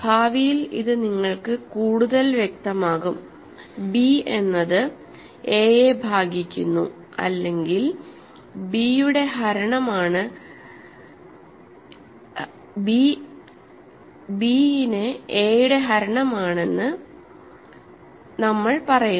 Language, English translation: Malayalam, So, that in future it will be clear to you, we say that b divides a or b is a divisor of a